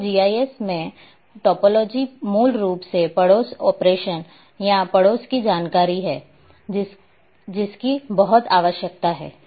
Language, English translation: Hindi, So, topology basically in GIS the neighbourhood operation or neighbourhood information is very much required